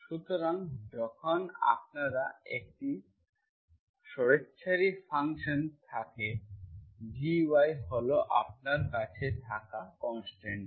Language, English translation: Bengali, So when you have arbitrary function, this is the constant which you have, this you are calling as GY